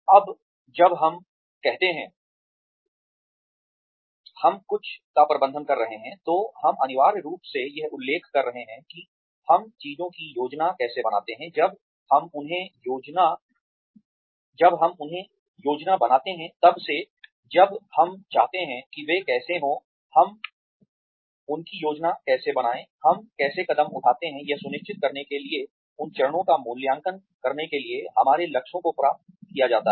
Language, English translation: Hindi, Now, when we say, we manage something, we are essentially referring to, how we take things from when we plan them, from when we want them to happen, to how we plan them, to how we take steps, to make sure that our goals are achieved to evaluating those steps